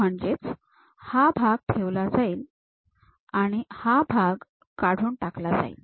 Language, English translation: Marathi, So, we want to retain that part, remove this part